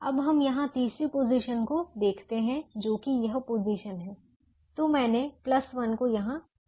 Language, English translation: Hindi, let us look at the third position here, which is this position